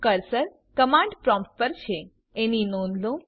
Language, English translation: Gujarati, Notice that the cursor is on the command prompt